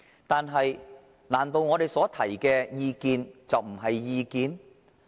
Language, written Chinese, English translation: Cantonese, 但是，難道我們所提的意見，就不是意見？, Nevertheless can it be said that our opinions are not opinions at all?